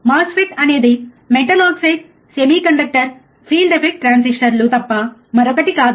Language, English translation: Telugu, MOSFET is nothing but metal oxide semiconductor field effect transistors